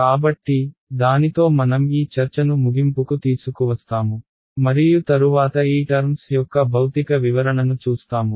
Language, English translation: Telugu, So, with that, we will bring this discussion to an end and subsequently we will look at the physical interpretation of these terms